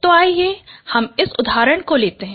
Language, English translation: Hindi, So let us take this example